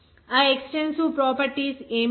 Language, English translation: Telugu, What is that extensive properties